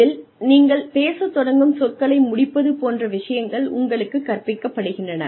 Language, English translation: Tamil, So, you are taught things like, completing the words, that you begin speaking